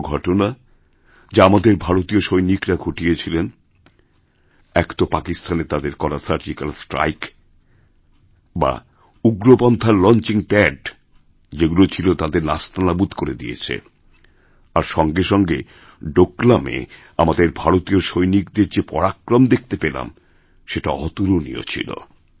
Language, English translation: Bengali, Two actions taken by our Indian soldiers deserve a special mention one was the Surgical Strike carried out in Pakistan which destroyed launching pads of terrorists and the second was the unique valour displayed by Indian soldiers in Doklam